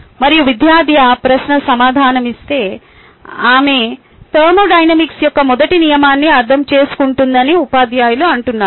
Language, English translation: Telugu, and if the student answers that question, teachers say that ok, she understands first law of thermodynamics